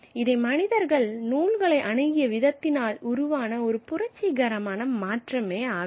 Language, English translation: Tamil, And this is a revolutionary change in the way human beings have approached texts